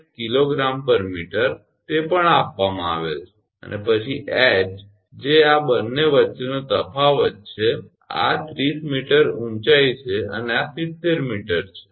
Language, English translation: Gujarati, 8 kg per meter, that is also given and then h that is difference between these two, this is 30 meter height and this is 70 meter